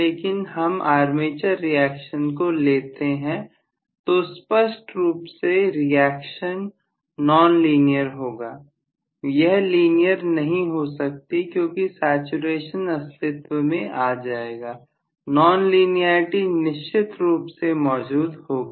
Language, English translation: Hindi, If we are considering armature reaction clearly the reaction will be non linear, it cannot be linear because the saturation will get into picture, non linearity will definitely creep in